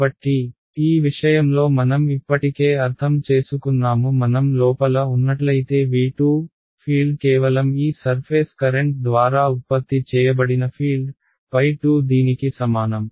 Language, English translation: Telugu, So, this one is we have already interpreted in this case what is it saying that if I am inside V 2, the field is simply the field that is produced by these surface currents right, phi 2 is equal to this